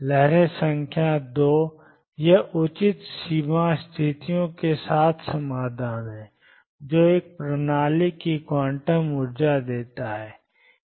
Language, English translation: Hindi, Waves number 2; it is solutions with proper boundary conditions give the quantum energies of a system